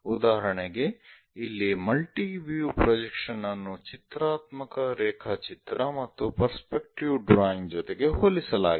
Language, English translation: Kannada, For example, here a multi view projection a pictorial drawing and a perspective drawing are compared